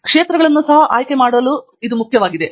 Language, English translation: Kannada, Its very important to also choose the fields